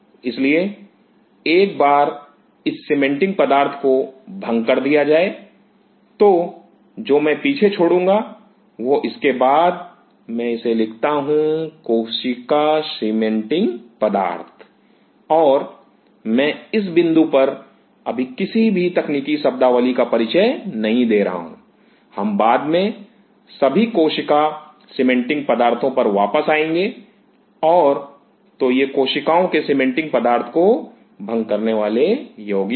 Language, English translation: Hindi, So, once this cementing material is dissolved, what I will be leaving behind will be after this; let me put this is the cell cementing material and I am not introduce any technical terminology at this point, we will come later on to all those thing cell cementing material and so these are compounds dissolving cell cementing material